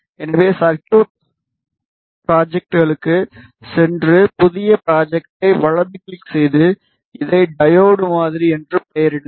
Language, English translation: Tamil, So, go to circuit schematics right click new schematic name this as diode model